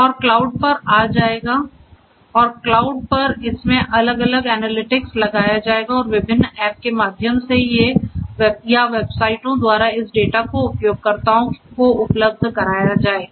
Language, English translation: Hindi, And will come to the cloud and at the cloud this different analytics will be performed and through different apps or through websites and so on this data are going to be made available to the users